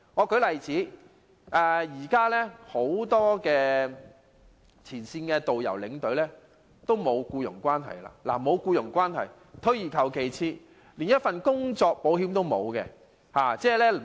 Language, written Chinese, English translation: Cantonese, 舉例而言，現時很多前線的導遊和領隊與旅行社沒有僱傭關係，換句話說是連工作保險也沒有。, For example as many frontline tour guides and escorts are not employees of travel agents they are not even entitled to employees compensation insurance . Nevertheless when being abroad risks may arise any time